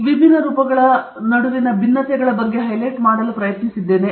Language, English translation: Kannada, Tried to highlight what differences are there between these different forms